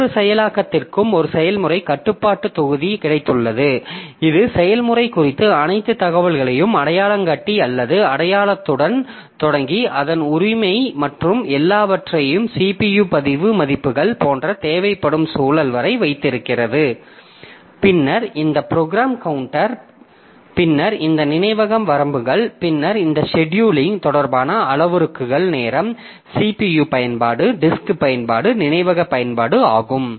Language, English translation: Tamil, Starting with the identifier identification of the process, its ownership and all up to the context that is required like the CPU register values, then this program counter, then this memory limits, then this scheduling related parameters like your timing, the CPU usage, disk usage, memory usage, so like that